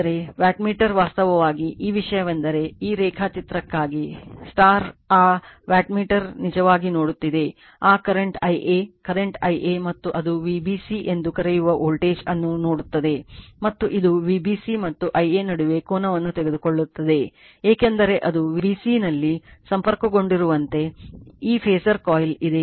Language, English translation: Kannada, But wattmeter actually, , if therefore, your , this thing , for this diagram if you look into that wattmeter sees actually , that current current I a , current I a and it is , sees the voltage your what you call V b c , and it will take angle between V b c and I a right, because it is , b this phasor coil as connected at b c